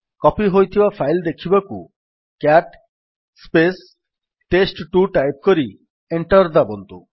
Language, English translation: Odia, To see the copied file, type: $ cat test2 and press Enter